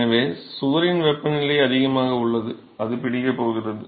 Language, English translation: Tamil, So, wall temperature is higher, it is going to catch up with the